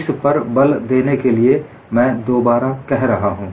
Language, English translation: Hindi, In order to emphasize that, I am saying it again